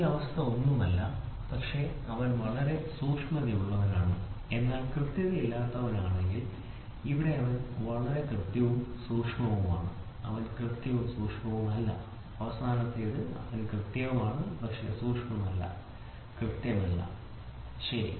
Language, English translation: Malayalam, So, this is this condition is nothing, but if his, he is very precise, but not accurate, here he is very precise and accurate, he is not precise and not accurate and the last one is he is accurate, but not precise, not precise, ok